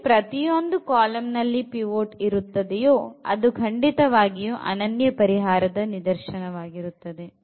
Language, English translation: Kannada, So, every column has a pivot and this is exactly the case when we have the unique solution